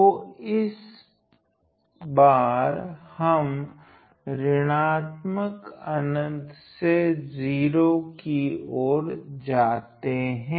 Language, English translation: Hindi, So, s so, this time we are traversing from negative infinity to 0